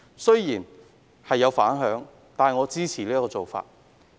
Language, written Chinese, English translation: Cantonese, 雖然此舉引起反響，但我支持這做法。, I support this measure in spite of the public reactions